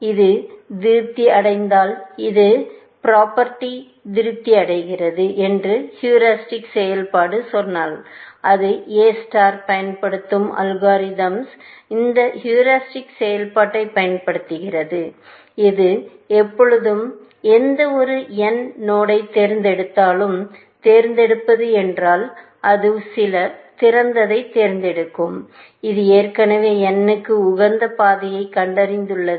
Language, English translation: Tamil, If this is satisfied, if the heuristic function said that it satisfies this property, then the algorithm which is using that A star, which is using that heuristic function; whenever, it picks a node, any node n; picks meaning, it picks some open, right; it has already found an optimal path to n